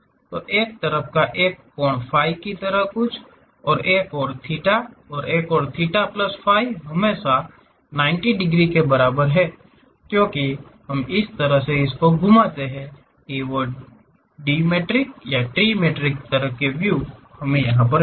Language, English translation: Hindi, So, something like an angle phi on one side, other angle theta, and total theta plus phi is always be less than is equal to 90 degrees; because we are rotating in such a way that, dimetric ah, trimetric kind of views we are going to have